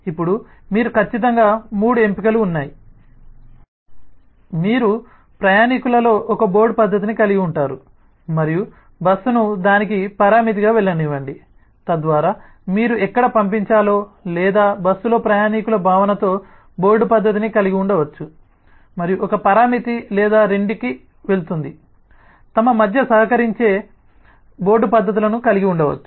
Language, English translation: Telugu, you can have a board method in passenger and let the bus goes as a parameter to that, so that where you send that, or the bus can have a board method with a passenger sense it and goes a parameter, or both could have board methods which collaborate between themselves